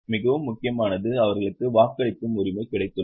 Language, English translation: Tamil, The most important is they have got voting right